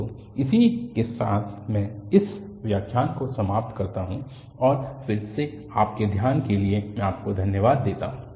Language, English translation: Hindi, So, with this, I end this lecture and then I thank you for your attention